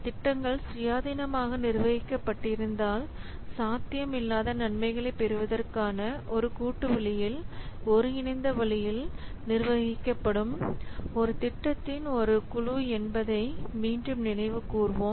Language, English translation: Tamil, Let us recall again a program is a group of projects which are managed in a coordinated way, in a collaborative way to gain benefits that would not be possible if the projects would have been managed independently